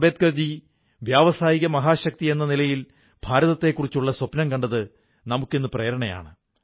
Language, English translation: Malayalam, Ambedkarji's dream of India as an industrial super powerthat vision of his has become our inspiration today